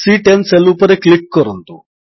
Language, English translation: Odia, Click on the cell referenced as C10